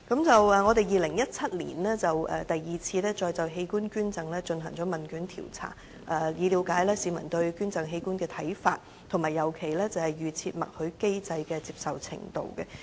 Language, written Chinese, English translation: Cantonese, 在2017年，我們再就器官捐贈進行第二次問卷調查，以了解市民對捐贈器官的看法，尤其對於預設默許機制的接受程度。, In 2017 we conducted our second questionnaire on organ donation to gauge public views on organ donation especially their acceptability of the opt - out system for organ donation